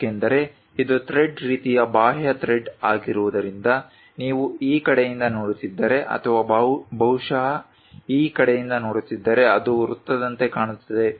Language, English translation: Kannada, Because its a thread kind of thing external thread, if you are looking from this side or perhaps from this side it looks like a circle